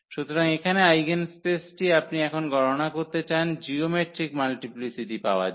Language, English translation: Bengali, So, here the eigenspace you want to compute now to get the geometric multiplicity